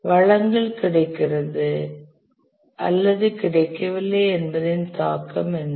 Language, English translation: Tamil, What is the impact of resource unavailability or availability